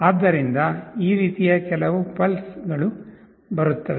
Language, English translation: Kannada, So, there will be some pulses coming like this